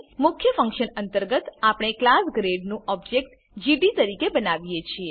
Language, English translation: Gujarati, Inside the main function we create an object of class grade as gd